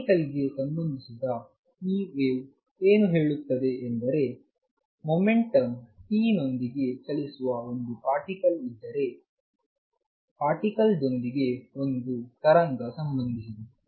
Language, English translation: Kannada, What this wave business associated with particle says is that If there is a particle which is moving with momentum p, with the particle there is a wave associated